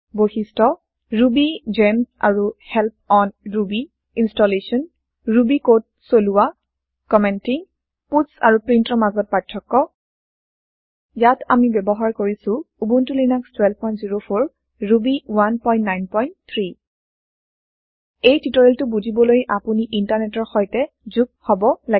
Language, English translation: Assamese, Features RubyGems Help on Ruby Installation Running Ruby code Commenting Difference between puts and print Here we are using Ubuntu Linux version 12.04 Ruby 1.9.3 To follow this tutorial you must be connected to internet